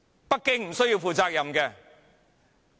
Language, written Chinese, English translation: Cantonese, 北京無須負責任？, Should not Beijing be held responsible?